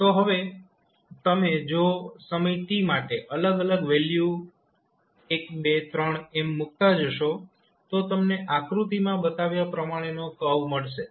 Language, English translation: Gujarati, So, it is now if you keep on putting the value of various t that is time as 1, 2, 3 you will get the curve which would like as shown in the figure